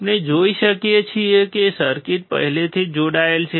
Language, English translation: Gujarati, We can see that the circuit is already connected